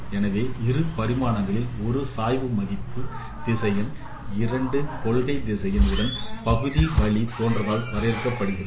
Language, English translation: Tamil, So in a two dimensional functions a gradient vector is defined by the corresponding partial derivatives along two principal directions